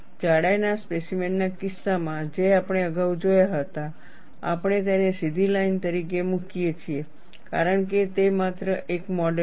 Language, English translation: Gujarati, In the case of through the thickness specimens, which we had looked at earlier, we simply put that as a straight line, because it is only a model